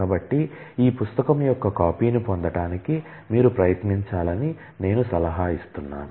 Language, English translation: Telugu, So, I advise the, that you try to get a copy of this book to yourself